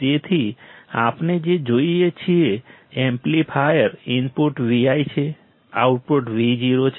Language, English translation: Gujarati, So, what we see is , amplifier input is Vi, output is Vo